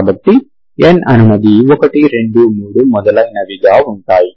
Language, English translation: Telugu, So for both n is running from 1, 2, 3 and so on